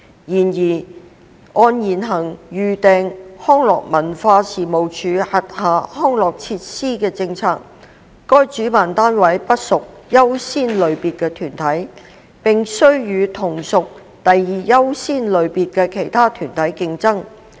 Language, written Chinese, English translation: Cantonese, 然而，按現行預訂康樂及文化事務署轄下康樂設施的政策，該主辦單位不屬最優先類別的團體，並須與同屬第二優先類別的其他團體競爭。, However under the prevailing policy on booking recreational facilities under the Leisure and Cultural Services Department LCSD the organizers are not among the organizations belonging to the top priority category and they have to compete with the other organizations which also belong to the second priority category